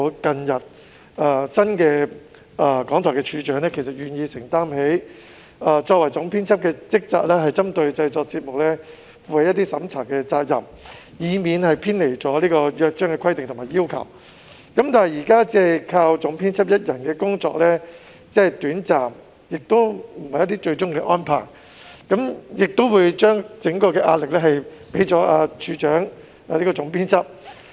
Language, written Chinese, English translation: Cantonese, 雖然新任廣播處長最近表明願意承擔其作為總編輯的職責，負上針對節目製作進行審查的責任，以免偏離《約章》的規定和要求，但單靠總編輯一人之力，只可發揮短暫功效，不能作為最終的安排，而且此舉會把所有壓力置於總編輯身上。, Although the new D of B indicated recently his willingness to undertake his responsibilities as the Editor - in - chief and discharge the duty of conducting review on programme production so that there will not be any deviation from the stipulations and requirements of the Charter his efforts alone can only bring about short - lived effects and cannot be regarded as a final solution . Moreover the Editor - in - chief will thus be made to bear all the pressure